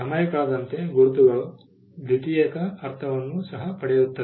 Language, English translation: Kannada, Marks over a period of time also get secondary meaning